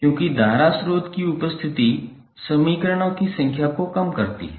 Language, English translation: Hindi, Because the presence of the current source reduces the number of equations